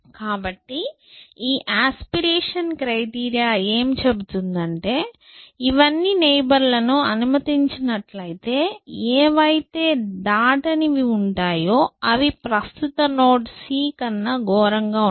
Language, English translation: Telugu, So, this aspiration criteria says that, if all this allowed neighbors, the once which are not crossed out are worse than my current node c